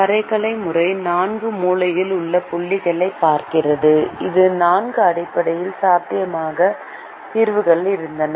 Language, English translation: Tamil, the graphical method looks at the four corner points, which happened to be the four basic feasible solutions